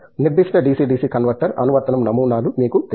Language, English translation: Telugu, You know applications specific DC DC converter designs